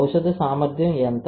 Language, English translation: Telugu, How much drug is efficient